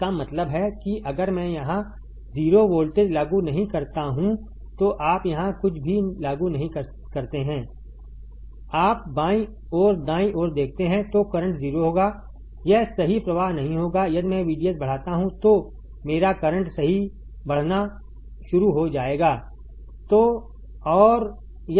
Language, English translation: Hindi, That means if I do not apply anything here if I apply 0 voltage here, you see in the left side right then the current will be 0 it will not flow right if I increase VDS my current will start increasing right